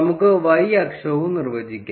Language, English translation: Malayalam, Let us define the y axis as well